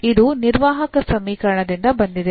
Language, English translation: Kannada, This is from just from the operator equation